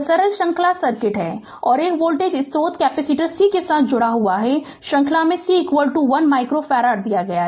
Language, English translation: Hindi, This simple series circuit and one voltage source is connected with the capacitors c in series; c is equal to given 1 micro farad